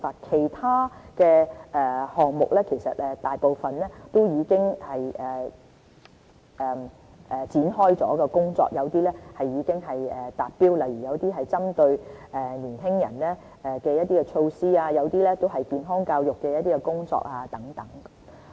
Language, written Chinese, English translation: Cantonese, 其他項目大部分亦已展開工作，有些已經達標，例如一些針對年輕人的措施和健康教育的工作等。, We have already started implementing most other actions and some of them have already been accomplished such as tasks targeting young people and those relating to health education